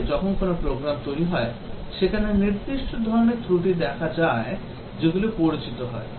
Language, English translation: Bengali, Actually, when a program is developed there are certain types of faults that get introduced